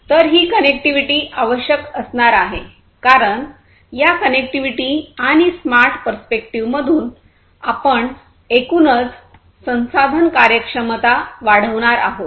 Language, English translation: Marathi, So, this connectivity is essentially going to be required because through this connectivity and smart perspective; we are going to increase the overall resource efficiency